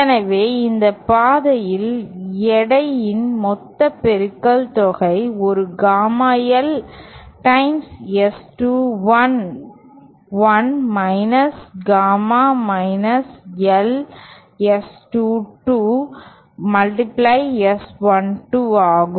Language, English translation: Tamil, So, along this path, the total product of weights is one gamma L times S21 1 gamma L S22 multiplied by S12